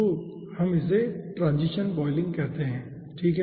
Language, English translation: Hindi, so this we call as transition boiling